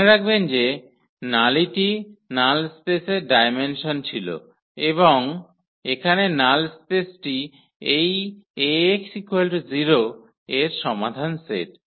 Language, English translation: Bengali, Nullity remember the nullity was the dimension of the null space and the null space here is the solutions set of this Ax is equal to 0